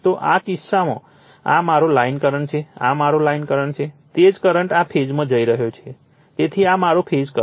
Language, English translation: Gujarati, So, in this case, this is my line current, this is my line current, same current is going to this phase, so this is my phase current